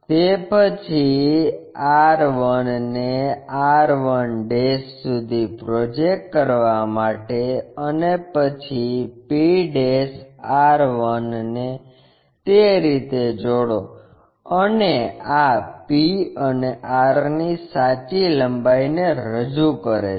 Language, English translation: Gujarati, After that project r 1 all the way up to locate r 1', and then join p' r 1' in that way, and this represents true length of the line p and r